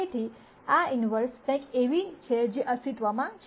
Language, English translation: Gujarati, So, this inverse is something that exists